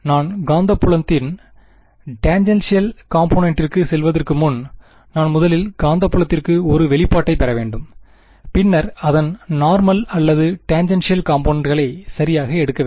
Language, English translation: Tamil, Before I get to tangential component of the magnetic field, I should just I should first get an expression for the magnetic field and then take its normal or tangential component right